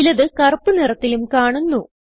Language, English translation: Malayalam, Except for some in Black